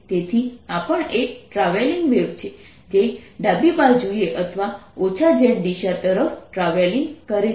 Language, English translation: Gujarati, so this is also a travelling wave which is travelling to the left or to the negative z direction